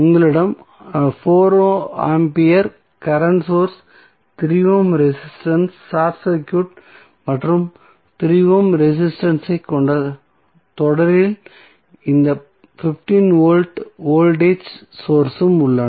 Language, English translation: Tamil, So, you have just simply 4 ampere current source 3 ohm resistance short circuit and this 15 volt voltage source in series with 3 ohm resistance